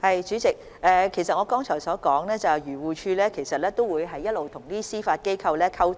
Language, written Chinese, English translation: Cantonese, 主席，我剛才提到漁護署會與司法機構保持溝通。, President I have mentioned earlier that AFCD will maintain communication with the Judiciary